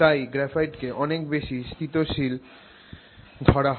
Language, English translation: Bengali, So, graphite is considered much more stable